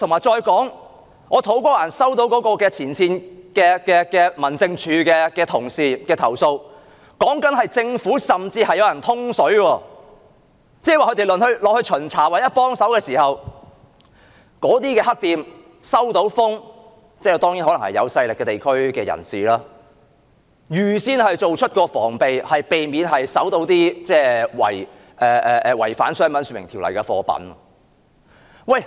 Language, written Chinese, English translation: Cantonese, 再者，我收到土瓜灣民政事務處前線員工的投訴，指當他們突擊巡查或到場提供協助時，有人通報——當然可能是由地區有勢力的人士通報——令那些黑店預先作出防備，避免被搜出違反《商品說明條例》的貨品。, Furthermore I received a complaint from frontline officers of the District Office in To Kwa Wan saying that whenever they conducted surprise inspections or provided on - site assistance at the unscrupulous shops some people probably powerful people of the district would inform the shops to take precaution actions to prevent any goods contravening the Trade Descriptions Ordinance from being found